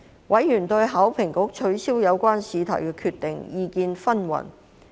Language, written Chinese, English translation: Cantonese, 委員對香港考試及評核局取消有關試題的決定意見紛紜。, Members expressed diverse views on the decision of the Hong Kong Examinations and Assessment Authority HKEAA to invalidate the question concerned